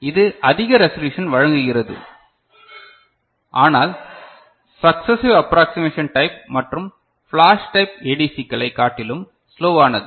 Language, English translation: Tamil, It provides higher resolution, but slower compared to successive approximation type and flash type ADC